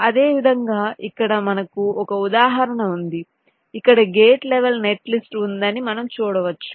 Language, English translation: Telugu, similarly, here i have an example where you can see that there is a gate level netlist here